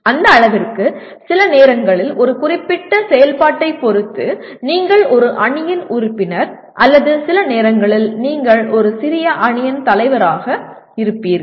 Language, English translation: Tamil, To that extent sometimes depending on a particular activity you are a member of a team or sometimes you are a leader of a small team